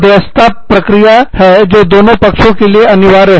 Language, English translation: Hindi, Arbitration is a quasi judicial process, that is binding on, both parties